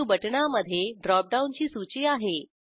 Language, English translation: Marathi, New button has a drop down list